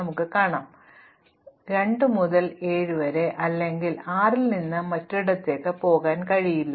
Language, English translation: Malayalam, For example, one cannot go from 2 to 7 or from 6 to anywhere else